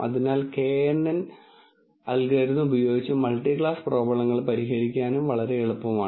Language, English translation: Malayalam, So, multi class problems are also very very easy to solve using kNN algorithm